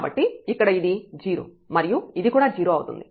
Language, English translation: Telugu, So, this is here 0 and this is also 0